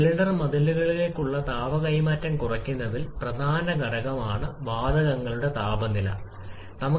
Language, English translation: Malayalam, And also heat transfer to the cylinder walls can be significant factor in reducing the temperature level of the gases